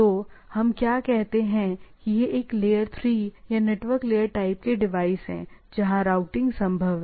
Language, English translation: Hindi, So, what we say this is a layer three or the network layer type of things, where routing is possible